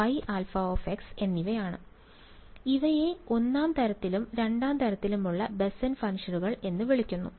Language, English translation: Malayalam, So these are called Bessel functions of the first kind and of the second kind ok